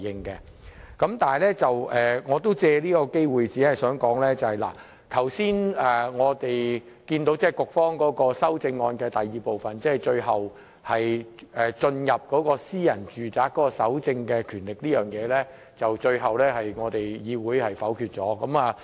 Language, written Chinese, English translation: Cantonese, 然而，我想借這個機會說一說，我們剛才看到局方修正案的第二部分，即有關進入私人住宅搜證的權力這部分，最終被議會否決。, However I wish to take this opportunity to speak on the second part of the Governments amendments that is the proposal concerning the power to enter and search domestic premises which is vetoed by the Legislative Council subsequently